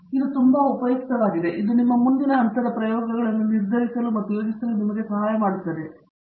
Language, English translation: Kannada, This is very useful, it helps you to decide and plan your next level of experiments